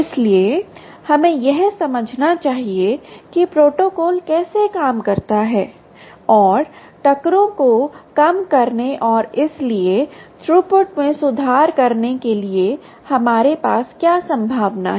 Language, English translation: Hindi, so we must understand how the protocol works and what possibility exists for us to sort of have a handle on reducing the collisions and therefore improving the throughput